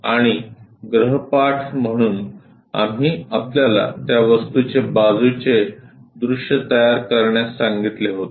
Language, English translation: Marathi, And as a homework problem we asked you to construct this side view